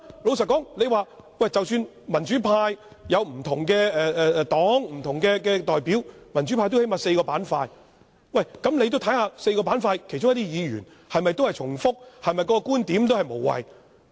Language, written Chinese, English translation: Cantonese, 老實說，民主派有不同黨派或代表，民主派最少也有4個板塊，他也要看看4個板塊的其他議員是否重複、觀點是否無謂。, Frankly there are numerous parties or representatives of different groups in the pro - democracy camp . The entire camp comprises at least four segments . Mr WONG should at least check if Members from the four segments would repeat their points or put forward worthless arguments